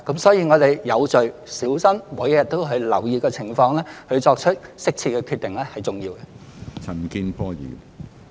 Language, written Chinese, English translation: Cantonese, 所以，我們要有序、小心地，每日留意情況並作出適切的決定，這是重要的。, Therefore it is very important for us to proceed in an orderly manner to keep a careful eye on the situation and make appropriate decisions accordingly